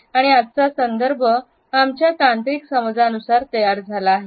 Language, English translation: Marathi, And today’s context is moulded by our technological understanding